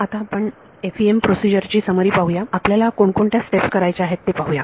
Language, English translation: Marathi, Let us look at the Summary of the FEM Procedure, what are the various steps that we have to do